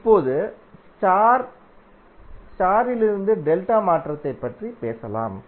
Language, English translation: Tamil, Now, let us talk about star to delta conversion